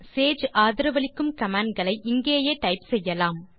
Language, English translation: Tamil, So now we can type all the commands that Sage supports here